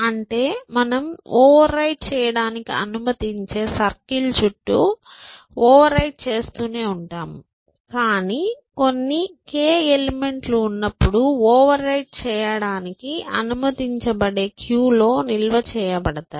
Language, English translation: Telugu, So, you know what is a circular cube, that you keep overwriting as you go round and round the circle you allow to overwrite, but some k number of elements will always be stored in the cube, where you can you are allowed to overwrite